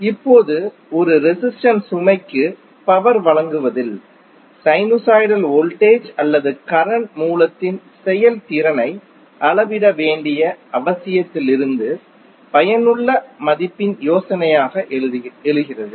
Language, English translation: Tamil, Now the idea of effective value arises from the need to measure the effectiveness of a sinusoidal voltage or current source and delivering power to a resistive load